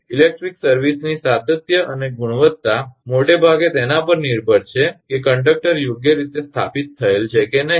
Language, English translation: Gujarati, The continuity and quality of electric service depend largely on whether the conductors have been properly installed